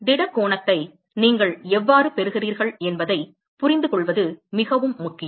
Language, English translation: Tamil, It is very very important to understand how you get the solid angle